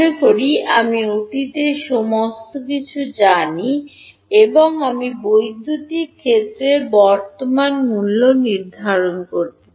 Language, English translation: Bengali, Supposing I know everything in the past and I want to evaluate the current value of electric field